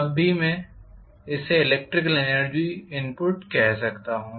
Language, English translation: Hindi, Then I may call this as the electrical energy input